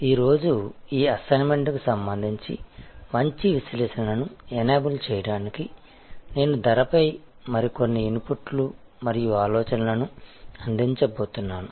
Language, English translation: Telugu, Today, to enable a good analysis with respect to this assignment, I am going to provide some more inputs and thoughts on pricing